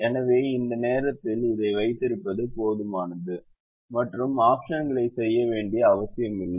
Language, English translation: Tamil, so at the moment it is enough to keep this and not necessarily do the options